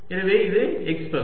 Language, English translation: Tamil, so this is the x part